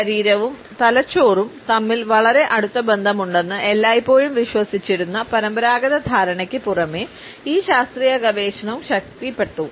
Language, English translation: Malayalam, This scientific research has strengthened, the conventional understanding which always believed that there is a very close association between the body and the brain